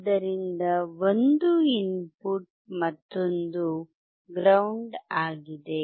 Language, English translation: Kannada, So, one is input another one is ground